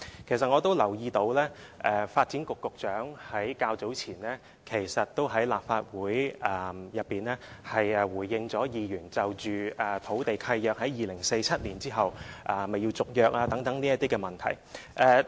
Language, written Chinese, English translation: Cantonese, 其實我也留意到，發展局局長較早前也在立法會內回應議員就土地契約在2047年之後是否須續約而提出的質詢。, In fact I have also noticed that the Secretary for Development had attended a meeting in the Legislative Council earlier on and replied to questions raised by Members on whether it was necessary to renew land leases after 2047